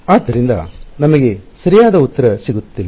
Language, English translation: Kannada, So, we will not get the right answer